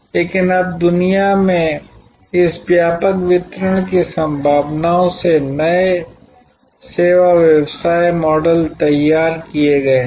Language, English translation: Hindi, But, now this mass extensive delivery possibility across the globe has created new service business models